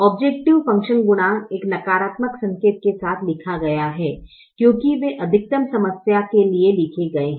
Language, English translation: Hindi, the objective function coefficients are written with a negative sign because they are written for a maximization problem